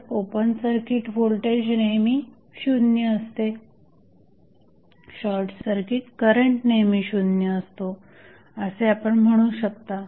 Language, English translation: Marathi, So, what you can say that you always have open circuit voltage 0, short circuit current also 0